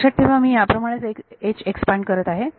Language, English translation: Marathi, Remember I am expanding H according to this